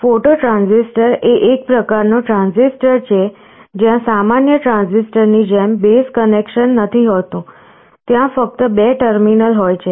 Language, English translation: Gujarati, A photo transistor is a kind of a transistor, where there is no base connection like in a normal transistor, there are two terminals only